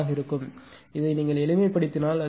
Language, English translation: Tamil, 1 and you simplify it will become 0